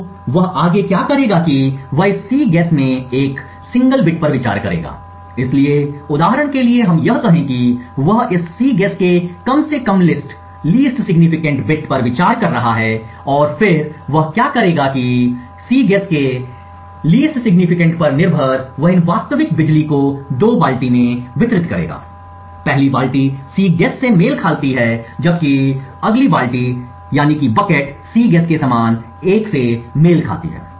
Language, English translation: Hindi, So what he would next do is that he would consider one single bit in this Cguess, so for example let us say that he is considering the least significant bit of this Cguess and then what he would do is that depending on the value of this least significant bit of Cguess he would distribute these actual power consumed into two buckets, the first bucket corresponds to the Cguess being 0, while the next bucket corresponds to the Cguess equal 1